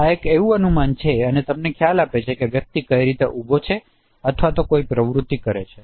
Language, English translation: Gujarati, So this is the estimation and that gives you idea that in what way the person is standing or doing some activity